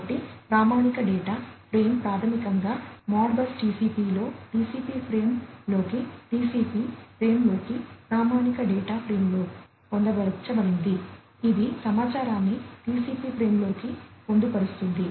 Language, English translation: Telugu, So, the standard data frame is basically embedded in Modbus TCP into a TCP frame into a TCP frame a standard data frame, which carries the information is embedded into it into the TCP frame